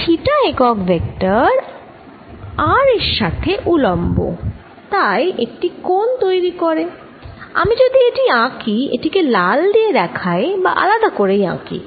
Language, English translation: Bengali, theta unit vector is perpendicular to r, so therefore it makes an angle and let me make it